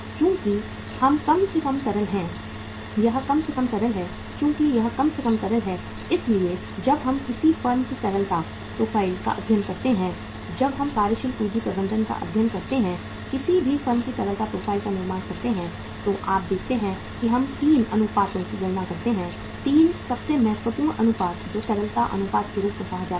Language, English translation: Hindi, Since it is least liquid, since it is least liquid so when we study the liquidity profile of a firm, when we build up the liquidity profile of any firm while studying the working capital management you see we calculate 3 ratios, 3 most important ratios which are called as the liquidity ratios